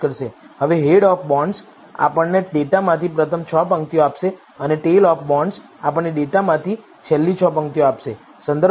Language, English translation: Gujarati, Now, head of bonds will give us the first 6 rows from the data and tail of bonds will give us the last 6 rows from the data